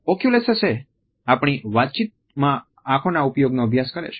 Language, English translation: Gujarati, Oculesics refers to the study of the use of eyes in our communication